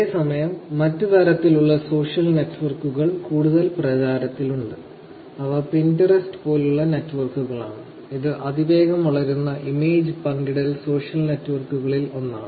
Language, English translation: Malayalam, Whereas off late there has been other types of social networks also that are getting more popular which is again in networks like Pinterest, which is one of the fastest growing social networks which has images as their base